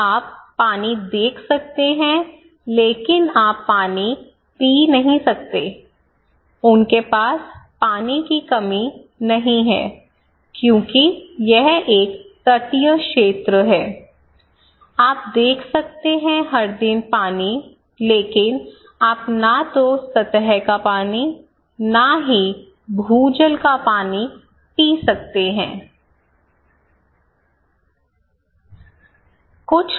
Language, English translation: Hindi, You can see water but you cannot drink water, there are lot of water, they do not have the water scarcity as such because it is a coastal area, you can see water every day, you can see water, but you cannot drink water neither surface water, neither ground water, what is situation